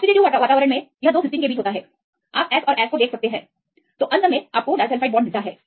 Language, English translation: Hindi, In the oxidative environment it is between the two Cysteines; you can see the S and S; so, finally it get the disulfide bonds